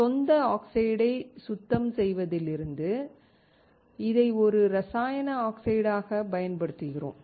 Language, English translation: Tamil, We use this as a chemical oxides from cleaning native oxide